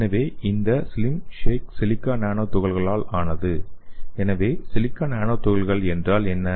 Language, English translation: Tamil, So this slim shake is made up of silica nano particles so what is silica nano particles